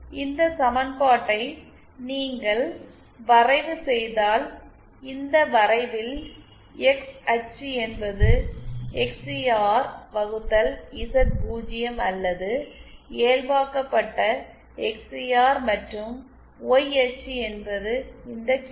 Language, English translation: Tamil, See, if you plot this equation, this XCR or the normalised XCR on this plot the X axis is the XCR upon Z0 or the normalised XCR and on the Y axis, we have this QL